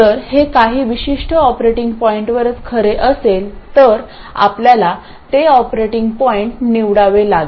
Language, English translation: Marathi, If it is true around a certain operating point, we have to choose that operating point